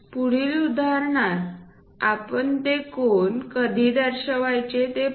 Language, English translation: Marathi, In the next example, we will see when we are going to represents those angles